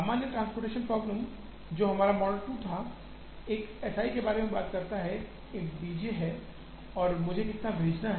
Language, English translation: Hindi, The normal transportation problem, which was our model 2, talks about there is an S i, there is a D j, how much do I send